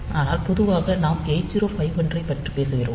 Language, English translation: Tamil, So, the as far as 8051 is concerned